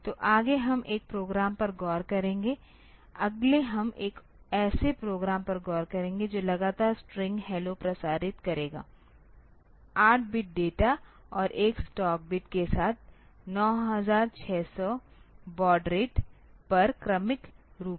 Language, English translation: Hindi, So, next we will look into a program, next we will look into a program that will transmit continually the string hello serially at 9600 baud rate with bit data with 8 bit data and 1 stop bit